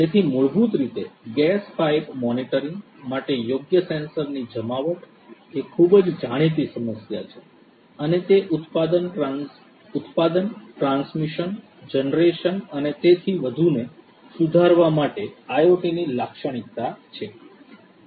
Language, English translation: Gujarati, So, basically the deployment of appropriate sensors for gas pipe monitoring is a is a very well known problem and that is an application of IoT to improve the production, the transmission, the generation and so on